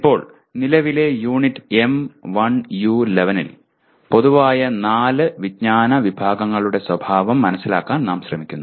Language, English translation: Malayalam, Now, in present unit M1U11 we are trying to understand the nature of four general categories of knowledge